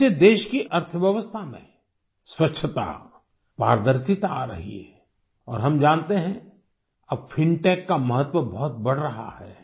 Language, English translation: Hindi, Through this the economy of the country is acquiring cleanliness and transparency, and we all know that now the importance of fintech is increasing a lot